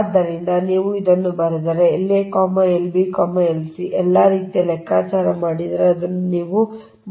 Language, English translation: Kannada, so if you write this, if you compute l a, l, b, l c, all sort of like this cannot be made it here only, right